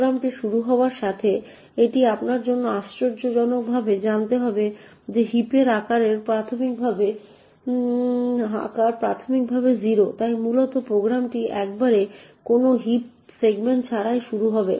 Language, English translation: Bengali, As soon as the program starts it would be surprisingly for you to know that the size of the heap is initially 0, so essentially the program would start with absolutely no heap segment